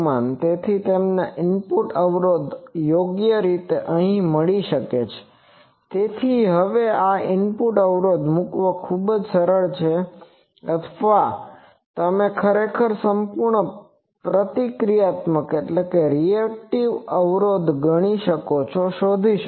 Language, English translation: Gujarati, So, you get the input impedance correctly here and so, now, it is very easy to the put the this input impedance or actually you can find the whole reactive impedance